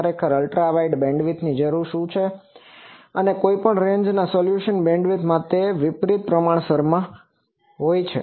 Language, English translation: Gujarati, Actually it requires Ultra wide bandwidth because any range resolution is a inversely proportional to the bandwidth